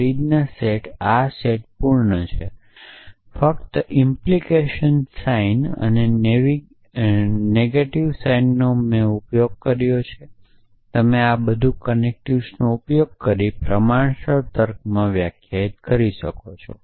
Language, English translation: Gujarati, So, Frege set this set is complete just use the implication sign and the negation sign and you can express everything can that can be expressed in proportional logic using this connectives